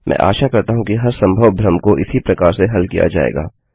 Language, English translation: Hindi, I hope every confusion will be resolved in that way